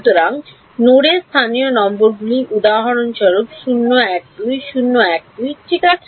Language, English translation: Bengali, So, the local numbers of the nodes will be for example, 012 012 ok